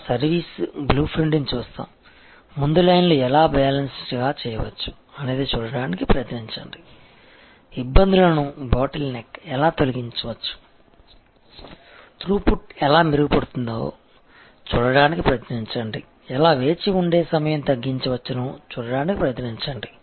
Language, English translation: Telugu, We look at the service blue print, which we have discussed before try to see, how lines can be balance, try to see, how bottle necks can be removed, try to see how the through put can be improved, try to see, how the waiting time can be decreased and